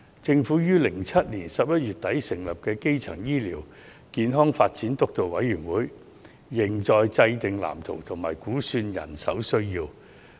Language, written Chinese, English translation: Cantonese, 政府於2007年11月底成立的基層醫療健康發展督導委員會，仍在制訂藍圖和估算人手需要。, The Steering Committee on Primary Healthcare Development set up by the Government at the end of November 2007 is still mapping out the blueprint and assessing the manpower requirement